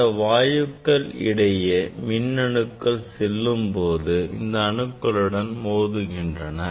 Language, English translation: Tamil, electrons while moving through this gas it will collide with this atoms there will be scattering